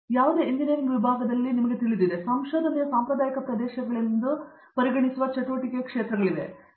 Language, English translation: Kannada, We tend to have you know in any engineering division, we have areas of activity which are considered traditional areas of research